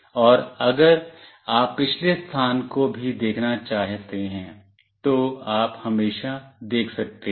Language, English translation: Hindi, And if you want to see the past location as well, you always can see that